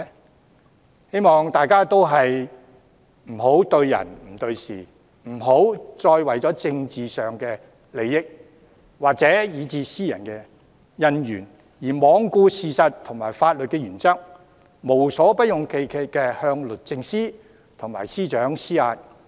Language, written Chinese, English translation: Cantonese, 我希望大家不要對人不對事，不要再為政治利益或私人恩怨而罔顧事實和法律原則，無所不用其極地向律政司及司長施壓。, I hope we can refrain from making things personal stop shrugging off facts and legal principles and resorting to all possible ways in exerting pressure onto DoJ and the Secretary for Justice just for the sake of political interests or personal conflicts